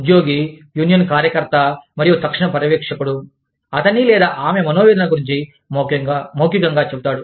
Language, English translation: Telugu, The employee tells, the union steward and immediate supervisor, about his or her grievance, orally